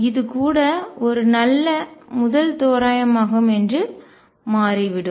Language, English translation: Tamil, And it turns out that even this is a reasonably good first of approximation